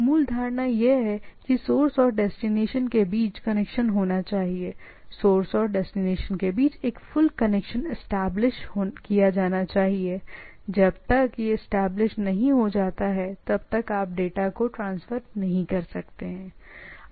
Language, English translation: Hindi, The basic assumption or basic condition is that there should be connection between the source and destination, a full connection should be established between the source and destination, unless it is established then you cannot do